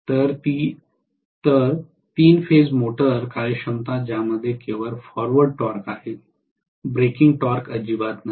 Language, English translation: Marathi, So three phase motor efficiency which has only forward torque, no breaking torque at all